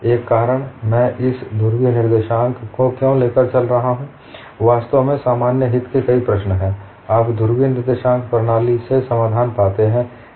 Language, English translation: Hindi, Another reason, why I cover these polar coordinates, is in fact, many problems of common interest you find solution from polar coordinate system